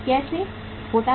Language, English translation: Hindi, How it happens